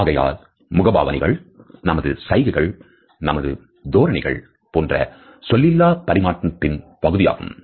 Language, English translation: Tamil, So, facial expressions, our gestures, our postures these aspects of nonverbal communication